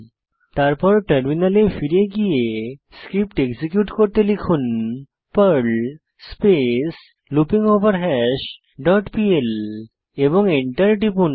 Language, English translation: Bengali, Then, switch to terminal and execute the Perl script as perl loopingOverHash dot pl and press Enter